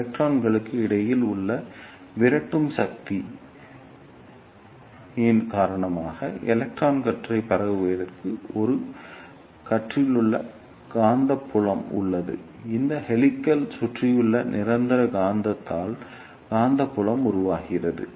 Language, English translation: Tamil, There is a surrounding magnetic field to hold the electron beam as they tend to spread out because of the repulsive forces present between the electrons and that magnetic field is produced by the permanent magnet present surrounding the helix